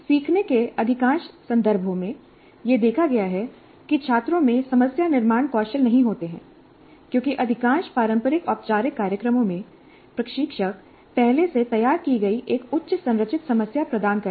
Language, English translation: Hindi, In a majority of learning context, it has been observed that students do not have problem formulation skills because in most of the conventional formal programs, the instructor provides a highly structured problem already formulated